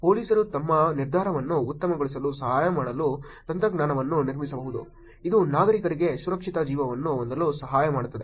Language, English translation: Kannada, Technologies can be built to help police make their decision better; it can help citizens have safer lives